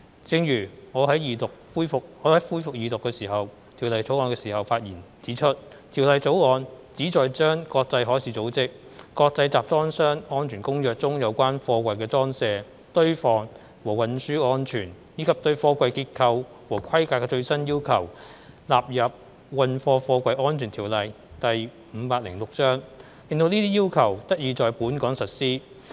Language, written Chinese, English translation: Cantonese, 正如我在動議恢復二讀辯論《條例草案》的發言時指出，《條例草案》旨在將國際海事組織《國際集裝箱安全公約》中有關貨櫃的裝卸、堆放和運輸安全，以及對貨櫃結構和規格的最新要求納入《運貨貨櫃條例》，令這些要求得以在本港實施。, As I pointed out in my speech when moving the resumption of the Second Reading debate on the Bill the Bill seeks to incorporate into the Freight Containers Safety Ordinance Cap . 506 the latest requirements of the International Convention for Safe Containers of the International Maritime Organization relating to the safety in loadingunloading stacking and transport of containers as well as the structure and specifications of containers to the effect that these requirements can be implemented in Hong Kong